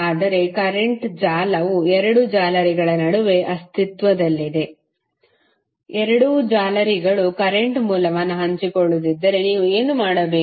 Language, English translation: Kannada, But suppose if the current source exist between two meshes where the both of the meshes are sharing the current source then what you have to do